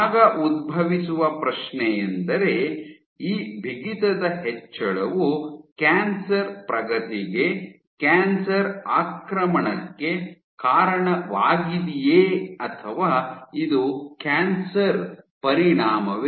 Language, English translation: Kannada, The question then arises is, is this increase in stiffness driving cancer progression, driving cancer invasion, or is it a consequence of cancer